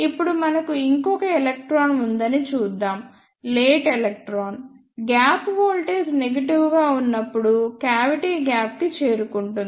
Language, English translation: Telugu, Now, let us see we have one more electron that is late electron which reaches the cavity gap when the gap voltage is negative